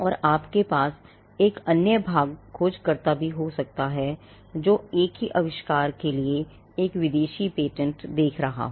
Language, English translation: Hindi, And you could also have another part searcher looking at a foreign patent for the same invention